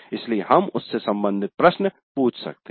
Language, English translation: Hindi, So we can ask a question related to that